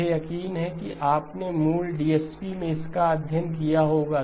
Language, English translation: Hindi, I am sure you would have studied this in basic DSP